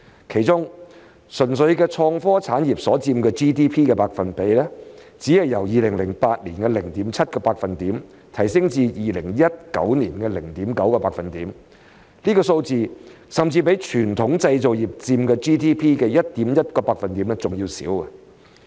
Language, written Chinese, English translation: Cantonese, 其中，純粹的創科產業所佔 GDP 的百分比，只是由2008年的 0.7% 提升至2019年的 0.9%， 這數字甚至比傳統製造業佔 GDP 的 1.1% 還要少。, Among them the share of pure innovation and technology industries in GDP only increased from 0.7 % in 2008 to 0.9 % in 2019 which is even less than the 1.1 % contribution to GDP by traditional manufacturing industries